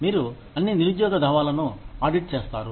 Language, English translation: Telugu, You audit all unemployment claims